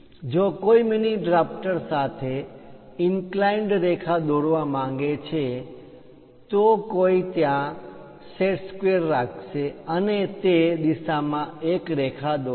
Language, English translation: Gujarati, If one would like to draw an inclined line with mini drafter, one will one will keep the set square there and draw a line in that direction